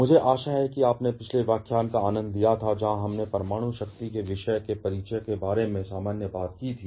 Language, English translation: Hindi, I hope you enjoyed the previous lecture, where we had just to general talk about the introduction to the topic of nuclear power